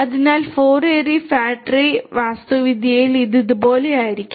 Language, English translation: Malayalam, So, in a 4 ary fat tree architecture it will be something like this